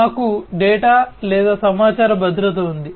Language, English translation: Telugu, We have data or information security, right